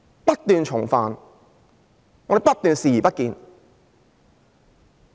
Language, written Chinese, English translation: Cantonese, 不斷重犯，我們不斷視而不見。, The offence keeps happening and we keep turning a blind eye